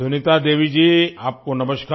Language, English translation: Hindi, Sunita Devi ji, Namaskar